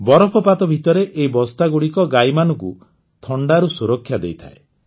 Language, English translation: Odia, During snowfall, these sacks give protection to the cows from the cold